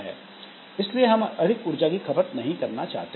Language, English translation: Hindi, So, we cannot have high power consumption